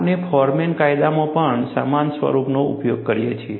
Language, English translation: Gujarati, We also use a similar form in Forman law